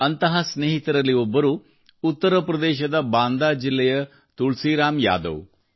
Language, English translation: Kannada, One such friend is Tulsiram Yadav ji of Banda district of UP